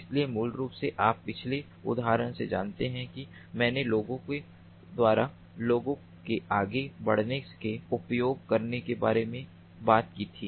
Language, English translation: Hindi, so, ah, basically, you know the previous example i had talked about using peoples, people moving